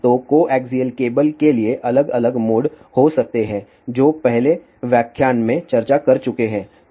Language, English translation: Hindi, So, for coaxial cable there can be different modes which has been discuss in the earlier lecture